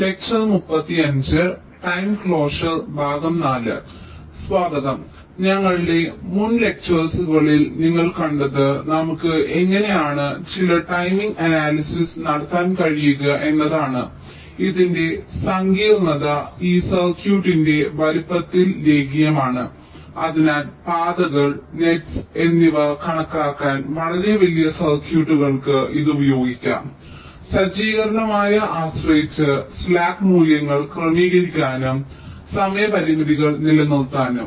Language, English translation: Malayalam, ah, what you have seen in our previous lectures is that how we can carry out some timing analysis, the complexity of which is linear in the size of this circuit and hence can be used for very large circuits, to enumerate the paths, the nets, so as to adjust the slack values depending on the set up and whole time constrains